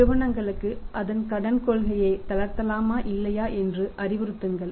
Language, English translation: Tamil, Otherwise the companies relax its credit policy or not